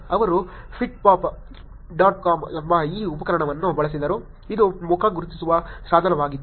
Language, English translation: Kannada, They used this tool called pittpatt dot com, which was face recognizing tool